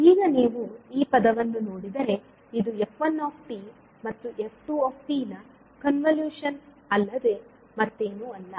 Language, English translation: Kannada, Now if you see this particular term this is nothing but the convolution of f1 and f2